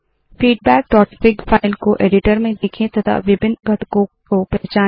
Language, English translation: Hindi, View the file feedback.fig in an editor, and identify different components